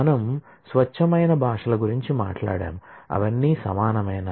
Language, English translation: Telugu, We have talked about the pure languages, are they are all equivalent